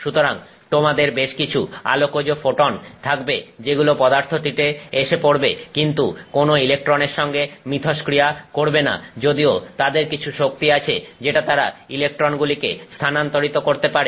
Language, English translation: Bengali, So, you may have some photons of light that arrive at a material that do not interact with any electron even though they have some energy that they could transfer to an electron, right